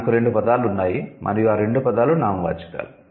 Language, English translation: Telugu, There are two words and both the words are nouns